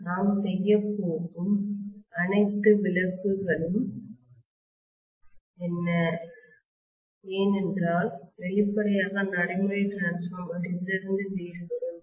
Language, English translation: Tamil, What are all the exemptions that we are going to make is, because obviously practical transformer will differ from this, okay